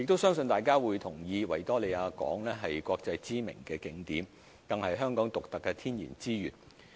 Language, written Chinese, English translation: Cantonese, 相信大家都同意，維多利亞港是國際知名的景點，更是香港獨特的天然資產。, As Members will agree Victoria Harbour is a world - famous tourist attraction as well as one of Hong Kongs unique natural resources